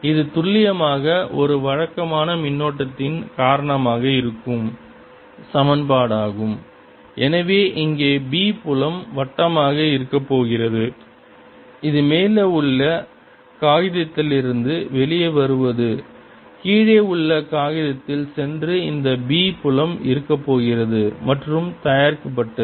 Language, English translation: Tamil, this is precisely the equation that is due to a regular current also and therefore out here the b field is going to be circular like this, coming out of the paper on top, going into the paper at the bottom, and this b field is going to be produced